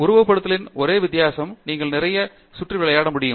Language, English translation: Tamil, The only difference in simulation is you can play around a lot more